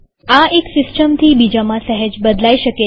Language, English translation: Gujarati, This may slightly vary from one system to another